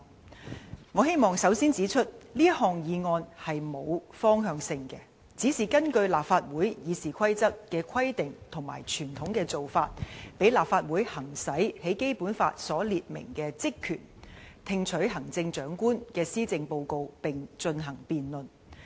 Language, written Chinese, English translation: Cantonese, 首先我希望指出，這項議案沒有方向性，只是根㯫立法會《議事規則》的規定和傳統的做法，讓立法會行使在《基本法》所列明的職權："聽取行政長官的施政報告並進行辯論"。, To begin with I wish to point out that this motion is not indicative of any direction . It is purely moved according to the stipulations in the Rules of Procedure and the established practice of the Legislative Council with the aim of enabling this Council to exercise its power and function specified in the Basic Law ie . To receive and debate the policy addresses of the Chief Executive